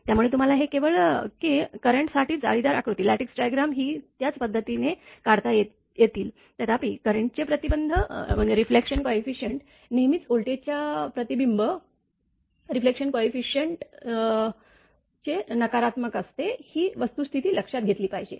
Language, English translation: Marathi, So, this one you will find out so that means, that lattice diagrams for current can also be drawn same way current also can be drawn; however, the fact that the reflection coefficient for current is always the negative of the reflection coefficient of voltage should be taken into account